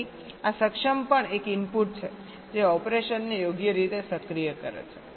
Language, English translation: Gujarati, so this enable is also an input which activates the operation